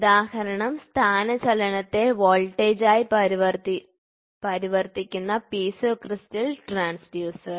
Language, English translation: Malayalam, Piezo crystal converts the mechanical displacement into an electrical voltage